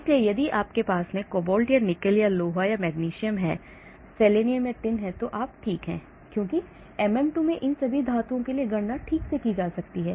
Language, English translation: Hindi, so if you have cobalt or nickel or iron or magnesium, selenium, tin so you are okay because MM2 has parameters for these so calculations for all these energies can be done properly